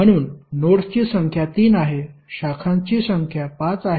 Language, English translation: Marathi, So number of nodes are 3, number of branches are 5